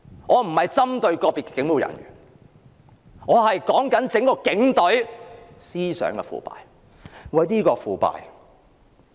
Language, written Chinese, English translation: Cantonese, 我不是針對個別警務人員，只是想指出整個警隊的思想腐敗。, I am not targeting at any individual police officer but merely want to highlight the corruption of thinking of the entire Police Force